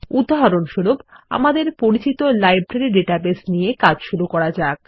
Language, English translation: Bengali, For example, let us consider our familiar Library database example